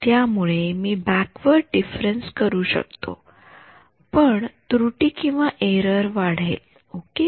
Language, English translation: Marathi, So, I could do backward difference, but error is high ok